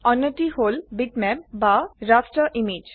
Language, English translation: Assamese, The other is bitmap or the raster image